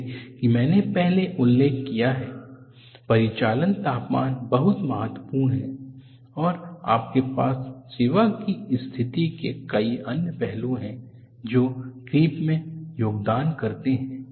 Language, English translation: Hindi, As I mentioned earlier, operating temperature is very important and you have many other aspects of the service condition, contribute to creep